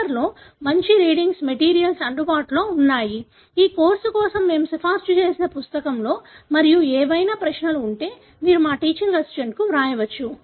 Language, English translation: Telugu, There are good reading materials available in the paper, in the book that we have recommended for this course and if there are any queries you can write to our teaching assistant